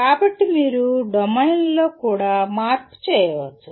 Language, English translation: Telugu, So you can have change in domains also